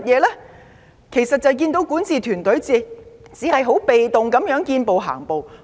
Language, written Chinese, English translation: Cantonese, 他們只看到管治團隊被動地見步行步。, They have only seen the governance team passively react to the changing circumstances